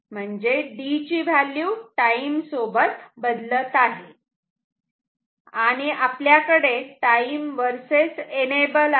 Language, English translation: Marathi, This is D which is changing with time and say we have time versus enable